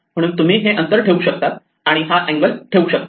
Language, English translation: Marathi, So, you can keep this distance and you can keep this angle